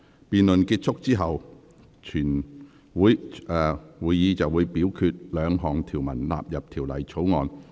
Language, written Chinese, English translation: Cantonese, 辯論結束後，會表決該兩項條文納入《條例草案》。, After the debate the committee will vote on the two clauses standing part of the Bill